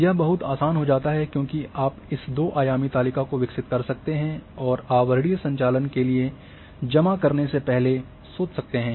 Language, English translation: Hindi, It becomes much easier because here you can develop this two dimensional table and think before you submit for overlaying operations